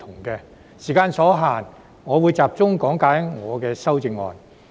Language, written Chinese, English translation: Cantonese, 由於時間所限，我會集中講解我的修正案。, Given the limitation of time I shall focus on explaining my amendment